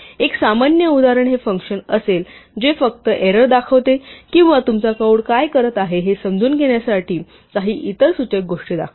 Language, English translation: Marathi, A typical example would be a function which just displays a message like there was an error or it displays some other indicative things for you to understand what your code is doing